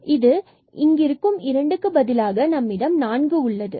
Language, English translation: Tamil, So, this will be 2